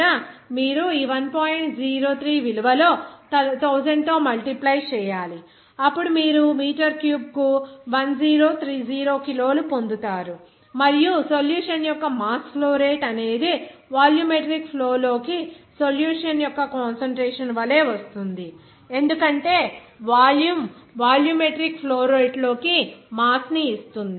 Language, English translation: Telugu, 03 value, then you will get simply one 1030 kg per meter cube and the mass flow rate of solution it will be coming as mass concentration of solution into volumetric flow because mass into volume volumetric flow rate will give you that, what is that